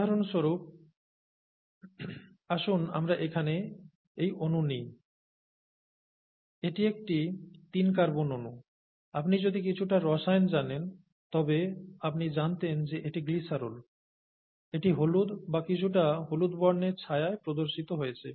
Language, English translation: Bengali, This is a three carbon molecule, okay, if you know a bit of chemistry you would know this is glycerol, the one that is shown in yellow or some shade of yellow there, is glycerol